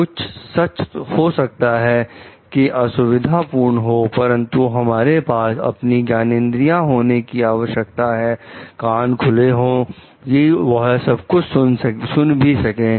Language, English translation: Hindi, So, in some truth may be uncomfortable for us, but we need to have your like sense organ, open ears open to listen to it also